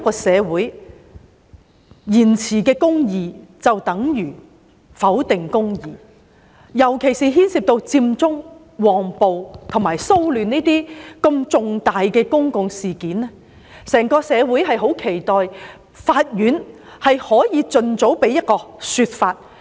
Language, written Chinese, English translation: Cantonese, 社會延遲彰顯公義，就等於否定公義，尤其是牽涉佔中、旺暴和騷亂等如此重大的公共事件，整個社會十分期待法院能夠盡早提供一個說法。, Justice delayed in society is justice denied . In particular the whole society expects the court to expeditiously give its opinions regarding important public incidents such as Occupy Central the riot in Mong Kok disturbances etc